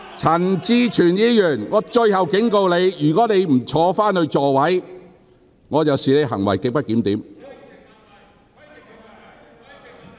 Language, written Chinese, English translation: Cantonese, 陳志全議員，我最後一次警告你，如你仍不返回座位，我會視之為行為極不檢點。, Mr CHAN Chi - chuen this is my last warning to you . If you still do not return to your seat I will regard such conduct as grossly disorderly